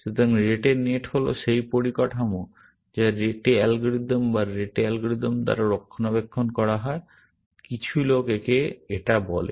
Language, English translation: Bengali, So, Rete net is the structure, which is maintained by the Rete algorithm or Rete algorithm, as some people call it